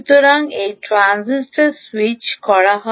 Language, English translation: Bengali, so this transistor is switching like that, right